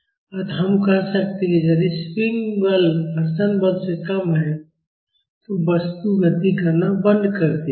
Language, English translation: Hindi, So, we can say that, if the spring force is less than the friction force, the body will stop moving